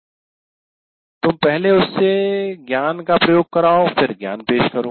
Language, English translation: Hindi, You first make him apply the knowledge and then present the knowledge